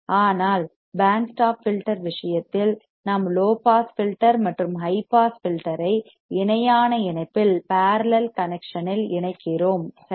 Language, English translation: Tamil, In case of band stop filter, we are connecting low pass filter and high pass filter, but in the parallel connection ok